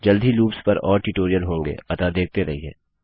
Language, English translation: Hindi, There will be more tutorials on loops shortly So keep watching